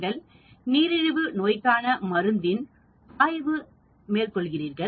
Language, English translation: Tamil, You are again looking at an antidiabetic drug